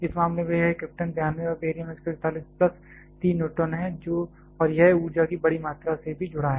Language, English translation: Hindi, In this case it is krypton 92 and barium 141 plus 3 neutrons and it is also associated with a large amount of energy